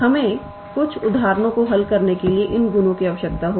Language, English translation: Hindi, We will need these properties to solve some examples